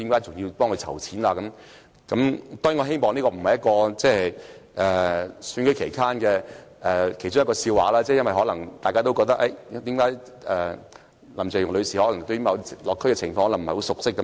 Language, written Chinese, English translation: Cantonese, 當然，我希望這不是特首選舉期間的一個笑話，因為大家可能因而覺得林鄭月娥女士對社區的情況不熟悉。, I certainly do not hope it was a joke which came about during the Chief Executive Election because we might consequently come to think that Ms Carrie LAM was not well - versed in the situation in the community